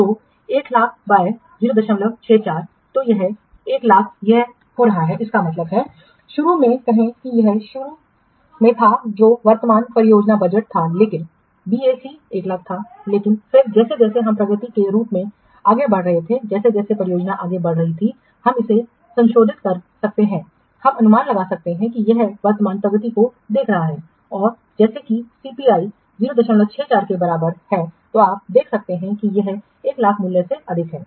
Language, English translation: Hindi, 64 is coming to be this that means initially it was what initially it was the current project budget was almost almost BSE was 1 lakh but then as the progress projected as the progress as the project is progressing we can revise it, we can estimate it observing the current progress and as CPI is equal 0